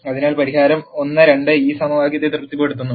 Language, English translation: Malayalam, So, the solution 1 2 satisfies this equation